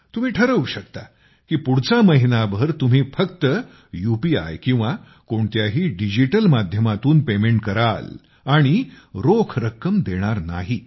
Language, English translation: Marathi, Decide for yourself that for one month you will make payments only through UPI or any digital medium and not through cash